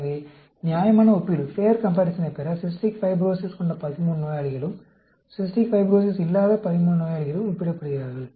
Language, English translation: Tamil, So, to obtain a fair comparison, 13 patients with Cystic Fibrosis, 13 patients without Cystic Fibrosis are compared